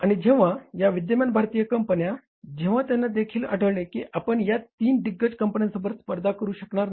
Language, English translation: Marathi, And when these existing Indian companies, when they also found that we will not be able to fight the competition from these three giants